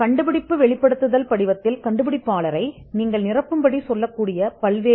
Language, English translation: Tamil, The invention disclosure form will have various columns which you would ask the inventor to fill